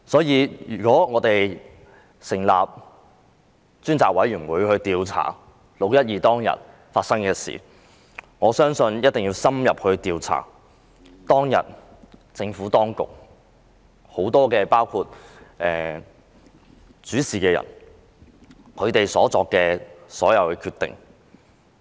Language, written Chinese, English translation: Cantonese, 如果我們委任專責委員會調查"六一二"事件，我認為一定要深入調查當天政府當局很多主事人所作的各項決定。, If we appoint a select committee to investigate the 12 June incident I think we must have an in - depth investigation of the various decisions made by the public officers in charge on that day